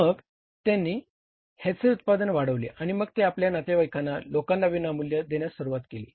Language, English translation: Marathi, Then he increased the level then he started giving it to his relatives other people as the free of cost